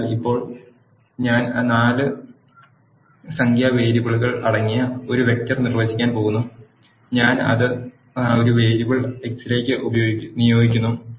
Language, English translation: Malayalam, So, now I am going to define a vector which is containing four numeric variables and I am assigning it to a variable X